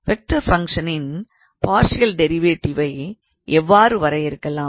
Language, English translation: Tamil, So, how do we basically define the partial derivative of a vector function